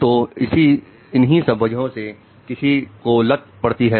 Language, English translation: Hindi, That is the source of addiction